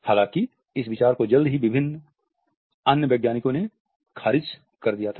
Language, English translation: Hindi, However, this idea was soon rejected by various other scientists